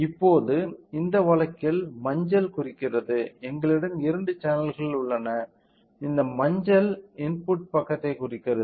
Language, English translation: Tamil, So, now, in this case the yellow represents; so, we have two channels, this yellow represents input side